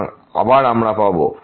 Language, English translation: Bengali, So, again we get